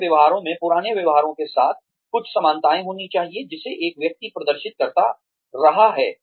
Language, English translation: Hindi, There should be some similarity, in the new behavior, with the old behaviors, that a person has been exhibiting